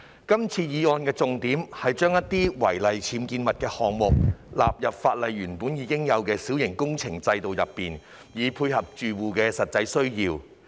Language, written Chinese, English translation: Cantonese, 這項議案的重點是把一些違例僭建物的項目，納入法例原有的小型工程監管制度，以配合住戶的實際需要。, The main purpose of this resolution is to incorporate certain items of unauthorized building works UBWs into the Minor Works Control System MWCS initially provided in the Ordinance to meet the genuine needs of building occupants